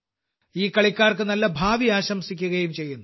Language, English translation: Malayalam, I also wish these players a bright future